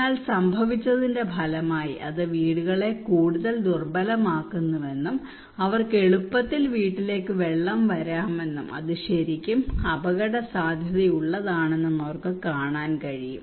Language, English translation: Malayalam, But as a result what happened they can see that it makes the houses more vulnerable water can easily come to house and it is really risky for them